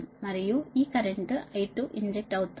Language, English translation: Telugu, this current is getting injected right